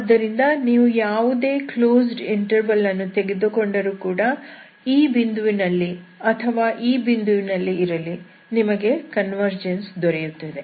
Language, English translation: Kannada, So once you have a convergence, you take any close interval everytime, you want this point at this point, you want convergence